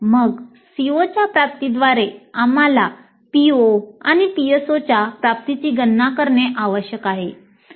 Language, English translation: Marathi, Then via the attainment of the COs we need to compute the attainment of POs and PSOs also